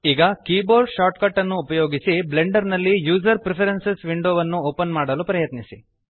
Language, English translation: Kannada, Now try to open the user preferences window in Blender using the keyboard shortcut